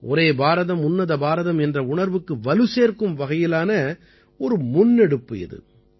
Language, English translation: Tamil, This is a wonderful initiative which empowers the spirit of 'Ek BharatShreshtha Bharat'